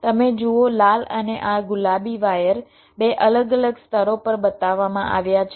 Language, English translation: Gujarati, you see red and this pink wires are shown on two different layers